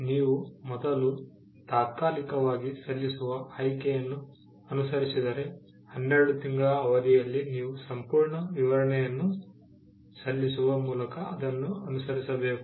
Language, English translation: Kannada, If you follow the option of filing a provisional first, then within a period of 12 months you have to follow it up with by filing a complete specification